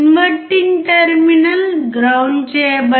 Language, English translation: Telugu, The inverting terminal is grounded